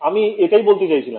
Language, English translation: Bengali, So, I will tell you what I mean